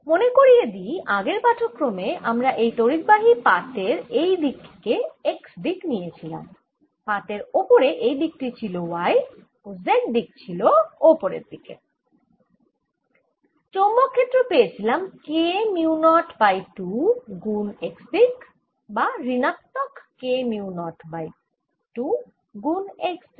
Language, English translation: Bengali, let me remind you, for this current carrying sheet, the previous lecture we had x is in this direction, y going along the sheet and z going up, and the magnetic field b was given as k, mu not k over two x or mu not k over two x, with the minus sign right